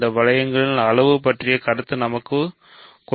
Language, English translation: Tamil, We have the notion of size in these rings